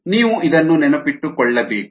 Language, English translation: Kannada, ok, you need to keep this in mind